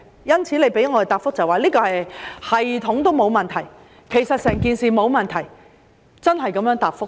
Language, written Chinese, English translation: Cantonese, 當局給我們的答覆是，系統沒有問題，其實整件事沒有問題，真是這樣答覆的。, The Administration replied to us that there were no problems with the system and in fact nothing went wrong in the whole incident . This was really its reply